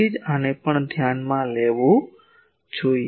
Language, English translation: Gujarati, So, that is why this also should be taken into account